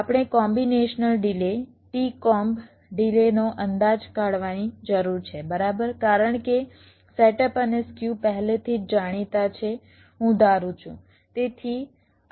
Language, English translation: Gujarati, we need to estimate the combinational delay t comb delay right, because setup and skew are already known, i am assuming